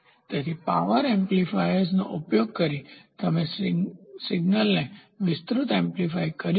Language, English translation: Gujarati, So, power amplifiers can be used such that you can amplify the signal